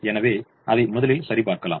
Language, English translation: Tamil, so let us verify that